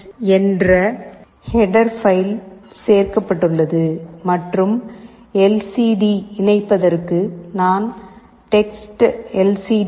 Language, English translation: Tamil, h is included and for LCD interface, I need to interface TextLCD